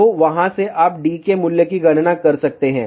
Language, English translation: Hindi, So, from there you can calculate the value of d